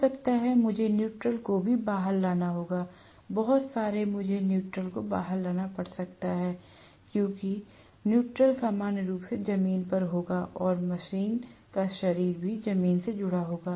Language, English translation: Hindi, Maybe, I will have to bring out the neutral as well; very often I might have to bring out the neutral because the neutral will be normally grounded and the ground will also be connected to the body of the machine